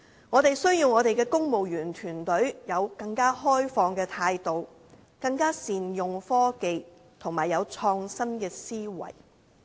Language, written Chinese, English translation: Cantonese, 我們需要我們的公務員團隊有更開放的態度，更能善用科技，以及有創新的思維。, Our civil servants need to adopt more open attitudes make better use of technology and have creative minds